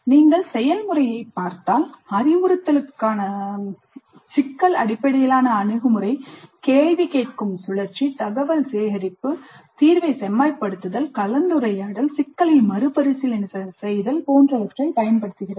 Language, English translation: Tamil, Then if you look at the process the problem based approach to instruction uses cycle of asking questions, information gathering, refining the solution, discussion, revisiting the problem and so on